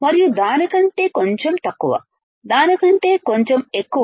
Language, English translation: Telugu, And a little bit less than that, little bit less than that